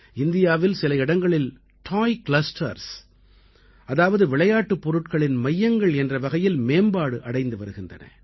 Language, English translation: Tamil, Some parts of India are developing also as Toy clusters, that is, as centres of toys